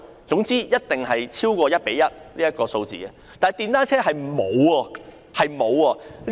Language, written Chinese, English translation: Cantonese, 總之，一定超過 1：1 這個比例，但電單車卻不然。, Anyway the ratio of private car to parking space is definitely more than 1col1 but not so for motorcycles